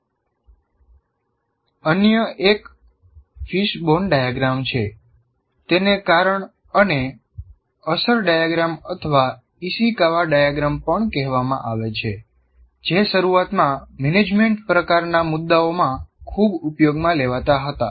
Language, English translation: Gujarati, It is also called cause and effect diagram or Ishikawa diagram, which was initially greatly used in management type of issues